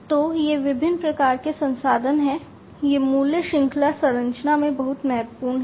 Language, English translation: Hindi, So, these are the different types of resources, these are very important in the value chain structure